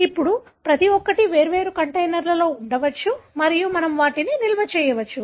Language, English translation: Telugu, Now, each one can be put in different container and we can store them